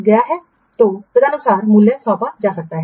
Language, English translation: Hindi, Then how to assign the and value